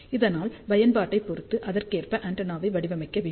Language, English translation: Tamil, So, depending upon the application, we have to design the antenna accordingly